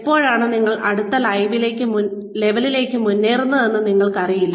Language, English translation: Malayalam, You do not know, when you will be advanced to the next level